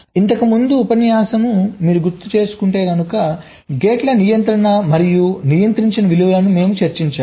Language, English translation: Telugu, ok, so earlier you recall, we discussed the controlling and non controlling values of the gates